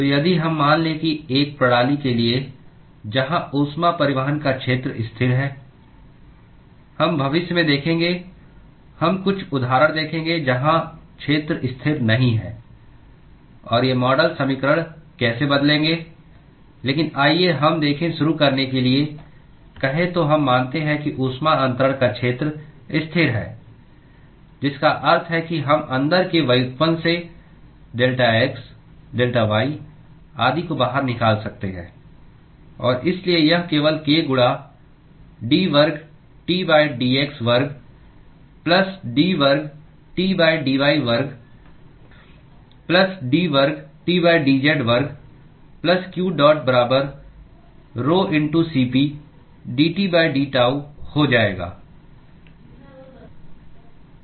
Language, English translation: Hindi, for a system, where area of heat transport is constant we will see in future we will see few examples of where area is not constant and how these model equations will change, but let us say to start with we assume that the area of heat transfer is constant, which means we can pull out delta x delta y etc from the derivatives inside; and so this will simply become k into d square T by d x square, plus d square T by dy square, plus d square T by dz square, plus qdot equal to rho*Cp